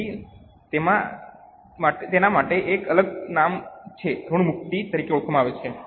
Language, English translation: Gujarati, So, there is a separate name for it known as amortization